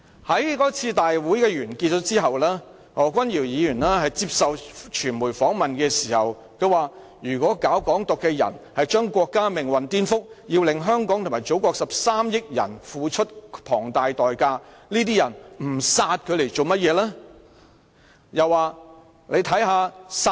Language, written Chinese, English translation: Cantonese, 在該次集會完結後，何君堯議員在接受傳媒訪問時說道："如果搞港獨的人是將國家命運顛覆，要令香港及祖國13億人付出龐大代價，這些人不殺他來幹甚麼？, After the assembly Dr Junius HO said during a media interview If Hong Kong independence advocates are subverting the fate of the country and have the 1.3 billion people in the Motherland and Hong Kong pay a huge price why not kill such advocates?